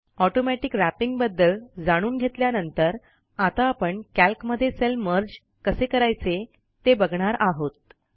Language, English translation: Marathi, Lets undo the changes After learning about Automatic Wrapping, we will now learn how to merge cells in Calc